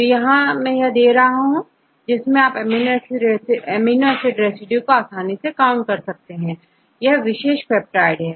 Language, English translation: Hindi, So, if I give this one, you can easily count the number of times each amino acid residue occur in this particular peptide